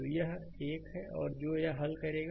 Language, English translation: Hindi, So, this is another one this will solve